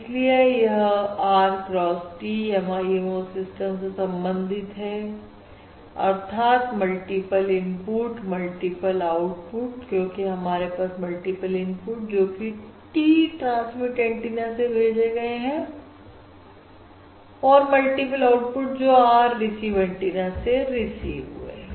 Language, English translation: Hindi, And this corresponds to the off and R cross T MIMO system, that is, Multiple Input, Multiple Output, since we have multiple inputs from the T transmit antennas, multiple outputs from the R receive antennas